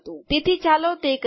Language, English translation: Gujarati, So lets do that